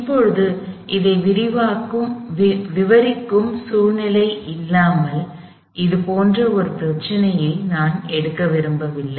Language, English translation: Tamil, Now, I do not want to take up a problem like this, without a physical situation that would describe this